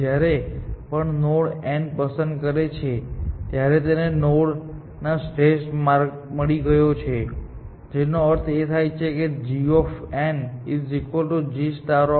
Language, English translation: Gujarati, Whenever, it picks this node n, it has found optimal path to that node, which means g of n is equal to g star of n